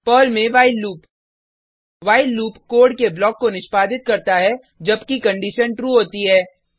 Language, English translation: Hindi, while loop in Perl The while loop executes a block of code while a condition is true